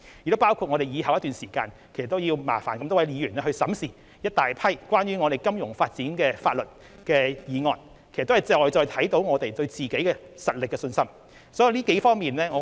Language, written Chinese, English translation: Cantonese, 此外，在往後一段時間，我們要麻煩各位議員審視大量有關金融發展的法案，這些工作都顯示我們對自己的實力有信心。, Furthermore in the days to come we must enlist the help of Members to scrutinize a large number of bills on financial development . This kind of work shows that we are confident in our strengths